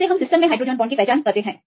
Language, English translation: Hindi, This is how we identify the hydrogen bonds in systems